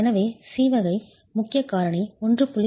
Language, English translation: Tamil, So, C category, which is importance factor 1